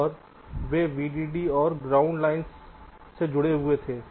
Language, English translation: Hindi, and they connected vdd and ground